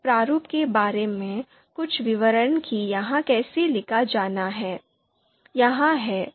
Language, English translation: Hindi, The few details about this format on how this is to be written are here